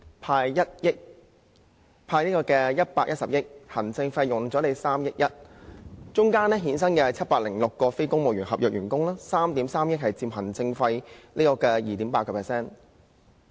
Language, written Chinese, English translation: Cantonese, 當中涉及"派錢 "110 億元、行政費3億 1,000 萬元，衍生706名非公務員合約職位，行政費佔總額 2.8%。, The estimated expenditure of the proposal is 11.3 billion of which 11 billion will be the cash handout and 310 million will be the administrative costs . And it will create 706 non - civil service contract positions . The administrative costs account for 2.8 % of the total amount